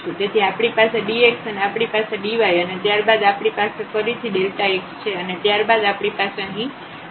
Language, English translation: Gujarati, So, we have the dx and we have the del dy and then we have again this delta x and then we have here delta y ok